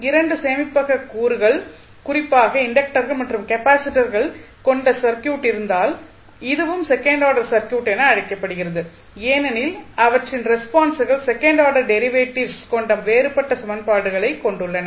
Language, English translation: Tamil, Now, we can also say that the circuit which contains 2 storage elements particularly inductors and capacitors then those are called as a second order circuit because their responses include differential equations that contain second order derivatives